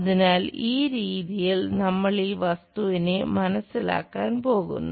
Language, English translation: Malayalam, So, in that way we are going to sense this object